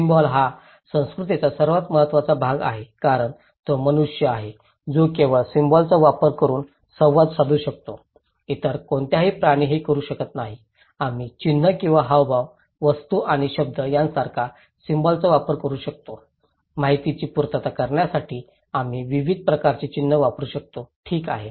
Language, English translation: Marathi, Symbol is the most critical important part of culture because it is a human being who can only interact through using symbols, no other animals can do it, we can use symbols like sign or gesture, objects and words; we can use variety kind of symbols to reciprocate informations, okay